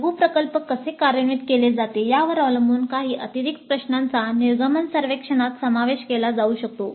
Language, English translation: Marathi, Depending upon how the mini project is implemented, some additional questions can be included in the exit survey